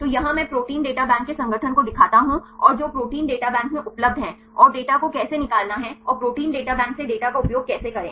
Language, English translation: Hindi, So, here I show the organization of the Protein Data Bank and the data which are available in the Protein Data Bank and how to extract the data and how to utilize the data from the Protein Data Bank